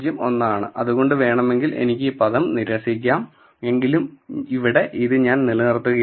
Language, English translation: Malayalam, 01 then I can reject this term, but till then I can always keep it